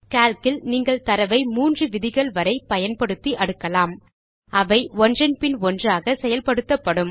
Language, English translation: Tamil, In Calc, you can sort the data using upto three criteria, which are then applied one after another